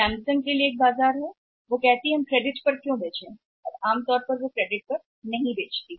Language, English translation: Hindi, For Samsung there is a market why should we sell on credit and normally they are not selling on the credit